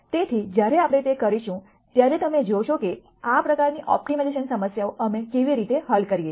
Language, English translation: Gujarati, So, when we do that, you will see how we solve these kinds of optimization problems